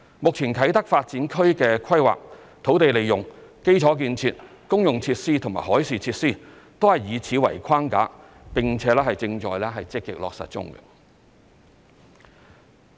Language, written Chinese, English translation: Cantonese, 目前啟德發展區的規劃、土地利用、基礎建設、公用設施和海事設施，均以此為框架，並且正在積極落實中。, Now the planning land use infrastructure common facilities and marine facilities of the Kai Tak Development Area are all under this framework and being actively implemented